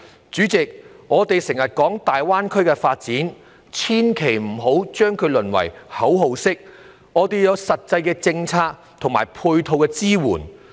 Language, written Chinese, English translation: Cantonese, 主席，我們經常提及大灣區發展，但千萬不要讓它淪為一句口號，要有實際的政策和配套支援。, President we often mention the GBA development but it should never be reduced to a slogan and should be supported by concrete policies and complementary measures